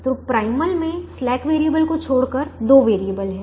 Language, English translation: Hindi, the primal has two variables without the slack variables